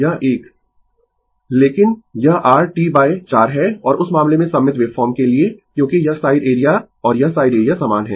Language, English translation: Hindi, But, this is your T by 4 and in that case for symmetrical waveform because this side area and this side area is same